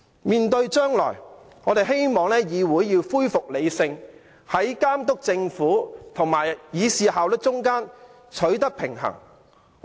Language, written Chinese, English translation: Cantonese, 面對將來，我們希望議會能夠恢復理性，在監督政府和議事效率之間取得平衡。, Looking ahead we hope Members of the Legislative Council will become rational and strike a balance between monitoring the Government and maintaining efficiency in the Legislative Council